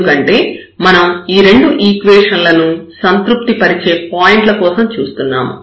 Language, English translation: Telugu, So, out of these 2 equations we need to get all the points which satisfy these 2 equations